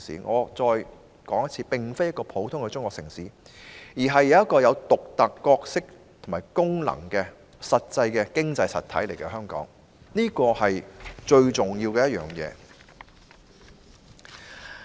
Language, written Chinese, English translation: Cantonese, 我重申，香港並非一個普通的中國城市，而是一個有獨特角色和功能的實際經濟體，這是最重要的一點。, I reiterate that Hong Kong is not an ordinary Chinese city but an economic entity with a unique role and function . This is the most important point